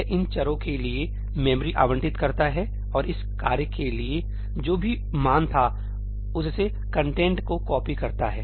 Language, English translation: Hindi, It allocates memory for these variables and copies the content from whatever the value was just for this task was initiated